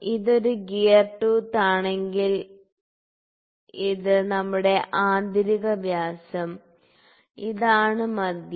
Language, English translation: Malayalam, If this is a gear tooth, ok, this is our inner dia, this is a centre, ok